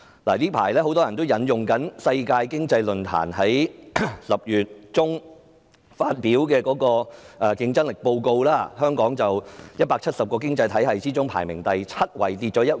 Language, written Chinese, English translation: Cantonese, 近期，很多人會引用世界經濟論壇在10月中發表的競爭力報告，香港在170個經濟體系中排名第七位，下跌一位。, Recently many people have quoted the Global Competitiveness Report published by the World Economic Forum in October . Hong Kong ranks seventh among 170 economies dropping one spot from last year